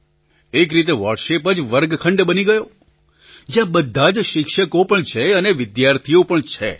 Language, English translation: Gujarati, So, in a way WhatsApp became a kind of classroom, where everyone was a student and a teacher at the same time